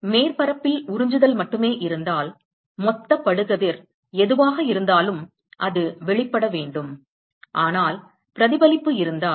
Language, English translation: Tamil, If there is only absorption in the surface then whatever is the total incident that has to be emitted but supposing if there is reflection